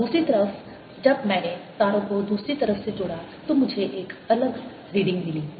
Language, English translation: Hindi, on the other hand, when i connected the wires on the other side, i got a different reading